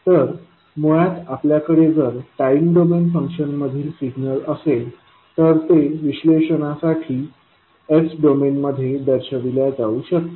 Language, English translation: Marathi, So, basically if you have signal which have some function in time domain that can be represented in s domain for analysis